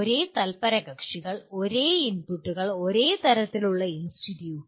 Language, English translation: Malayalam, Same stakeholders, same inputs, same kind of institute